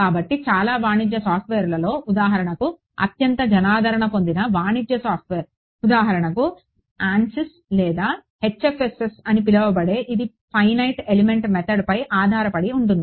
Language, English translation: Telugu, So, your a lot of your commercial software for example, the most popular commercial software is for example, ANSYS or HFSS which is called it is based on the finite element method